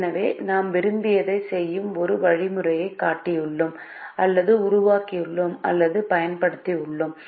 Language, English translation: Tamil, so now we have shown or developed or used an algorithm which essentially does what we wanted to do now